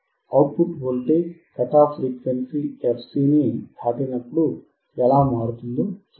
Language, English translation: Telugu, We will see how the voltage at the output changes when we go or when we when we pass the cut off frequency fc